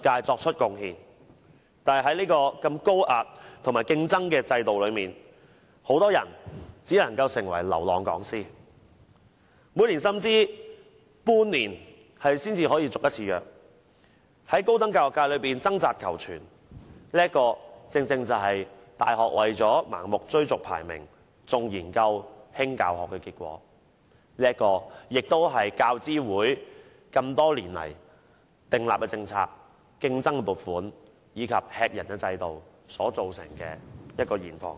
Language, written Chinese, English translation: Cantonese, 但是，在如此高壓和高度競爭的制度下，很多人只能成為流浪講師，每年甚至半年才能獲續約一次，在高等教育界中掙扎求存，這正是大學為了盲目追逐排名，重研究、輕教學的結果，亦是教資會多年來訂立的政策，大家競爭撥款，這是駭人的制度造成的現況。, They strive to survive in the tertiary education sector . This is the outcome created by universities that blindly pursue rankings and researches but disregard teaching; and this is also the present situation shaped by the UGC policies over the years where universities are only keen on resources seeking . This is the present situation created by this appalling system